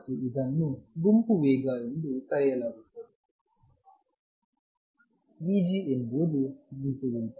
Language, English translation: Kannada, And this is known as the group velocity, v g is the group velocity